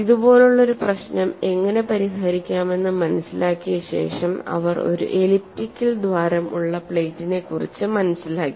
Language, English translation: Malayalam, Once after they have understood how to solve a problem like this they graduated to plate within elliptical hole